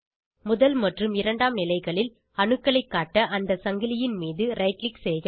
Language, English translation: Tamil, Right click on the chain to display atoms on first and second bond positions